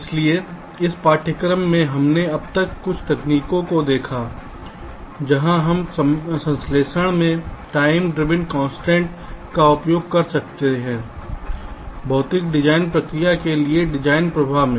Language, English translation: Hindi, so in this ah course we have seen so far some of the techniques where you can ah use the timing driven constraints in synthesis in the design flow for the physical design process